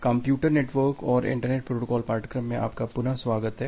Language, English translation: Hindi, Welcome back to the course on Computer Networks and Internet Protocol